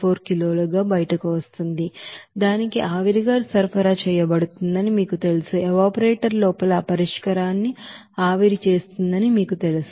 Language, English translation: Telugu, 74 kg that is you know supplied as a steam to that, you know evaporator to you know evaporate those solution there inside the evaporator